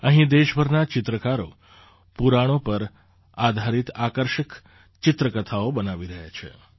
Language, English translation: Gujarati, Here 18 painters from all over the country are making attractive picture story books based on the Puranas